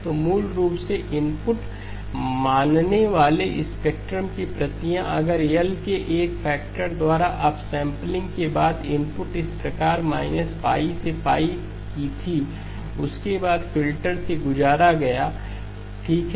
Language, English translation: Hindi, So basically the copies of the spectrum assuming the input had if the input was of this form minus pi to pi after the upsampling by a factor of L, upsampling by a factor of L followed by the filter okay